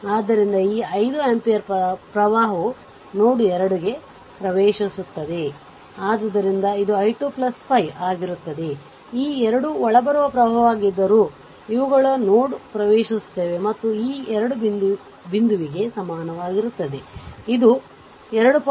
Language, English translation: Kannada, So, it will be i 2 plus 5, though this 2 are incoming current, these are ah entering into the node and is equal to your this 2 point this is a 2